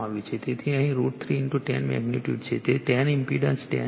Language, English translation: Gujarati, So, root 3 into 10 magnitude here, it is 10 impendence is 10